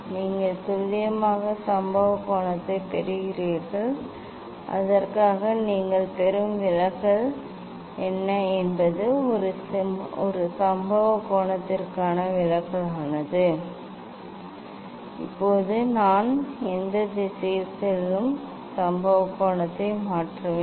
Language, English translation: Tamil, then you are getting accurate incident angle and for that what is the deviation you are getting this is for a deviation for a one incident angle now I will change the incident angle in which direction I will go